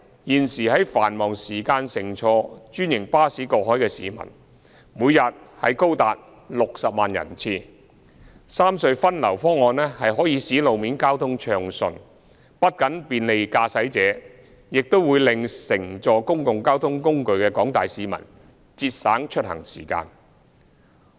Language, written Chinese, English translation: Cantonese, 現時在繁忙時間乘坐專營巴士過海的市民，每天高達60萬人次。三隧分流方案可以使路面交通暢順，不僅便利駕駛者，亦令乘坐公共交通工具的廣大市民節省出行時間。, As many as 600 000 cross - harbour passenger trips are made through franchised buses during peak hours every day the proposal to rationalize traffic distribution among the three RHCs will facilitate smooth - flowing traffic thus not only providing motorists with convenience but also saving the journey time of members of the public who use public transport